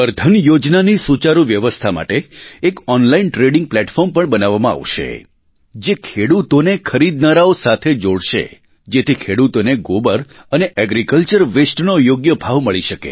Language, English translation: Gujarati, An online trading platform will be created for better implementation of 'Gobar Dhan Yojana', it will connect farmers to buyers so that farmers can get the right price for dung and agricultural waste